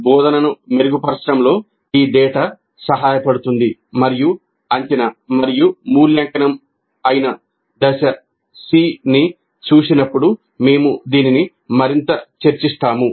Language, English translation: Telugu, So this data would be helpful in improving the instruction and we'll discuss this further when we look at the phase C, which is assessment and evaluation